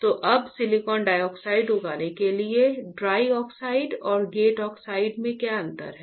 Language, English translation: Hindi, So, for growing silicon dioxide now what is the difference between dry oxide and gate oxide